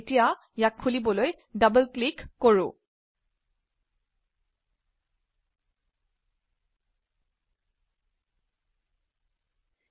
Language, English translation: Assamese, lets open it by double clicking on it